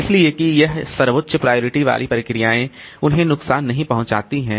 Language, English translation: Hindi, So, that this highest priority processes they do not suffer